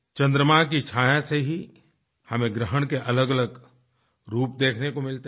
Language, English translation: Hindi, Due to the shadow of the moon, we get to see the various forms of solar eclipse